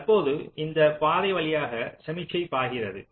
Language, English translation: Tamil, so now signal flows through this path